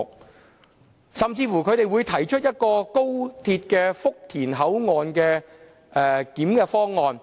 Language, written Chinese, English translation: Cantonese, 他們甚至提出高鐵福田口岸"一地兩檢"的方案。, They even throw out a proposal for co - location clearance at the Futian Station